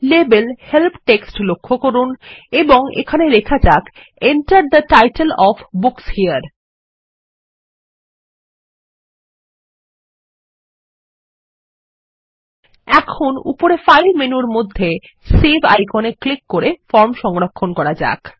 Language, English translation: Bengali, Notice the label Help text and here, let us type in Enter the title of the book here Now, let us save the form by clicking on the Save icon below the File menu on the top